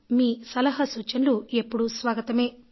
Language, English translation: Telugu, Your suggestions are always welcome